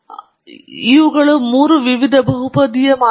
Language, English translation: Kannada, So, these are the three different polynomial models